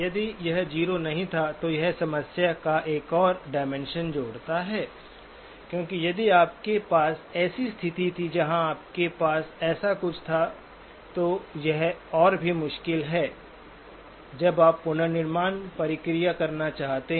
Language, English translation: Hindi, If it was not 0, then it adds another dimension to the problem, because if you had a situation where you had something like this, then it is even more tricky when you want to do the reconstruction process